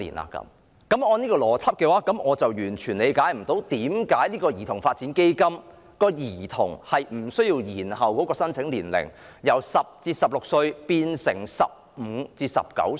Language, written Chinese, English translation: Cantonese, 按照這種邏輯，我完全不能理解為何基金無須延後兒童的申請年齡，由10至16歲改為15至19歲。, Following this logic I cannot understand at all why it is unnecessary to postpone the age window of CDF applicants from the present 10 - 16 to 15 - 19